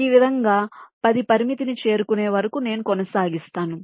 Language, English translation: Telugu, in this way i continue till this limit of ten is reached